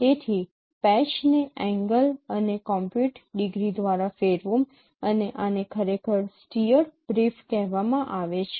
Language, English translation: Gujarati, So rotate the patch by the angle and compute brief and this is called actually steered brief